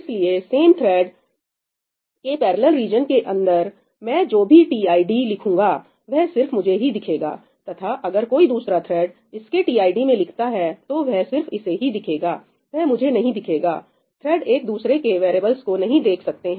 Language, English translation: Hindi, So, whatever I write into tid within this parallel region is only visible to me, to the same thread, right, and if any other thread writes to its tid, it is only visible to it I do not get to see that, right, threads do not get to see each otherís variables